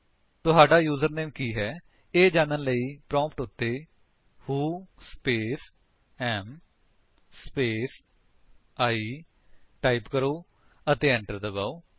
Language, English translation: Punjabi, To know what is your username, type at the prompt: who space am space I and press Enter